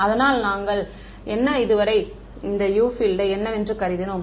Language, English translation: Tamil, So, what we assume so far was that the field U is what